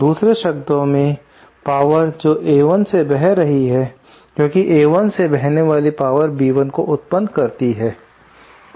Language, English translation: Hindi, In other words, power is flowing from A1 because A1, the power flowing in A1 is giving rise to B1